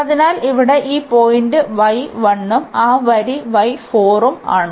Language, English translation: Malayalam, So, this point here y is 1 and that line here y is 4